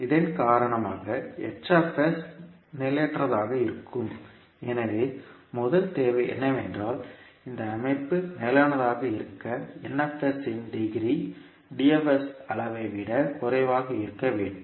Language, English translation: Tamil, Because of this the h s will be unstable, so the first requirement is that this for system for be stable the n s should be less than the degree of n s should be less than the degree of d s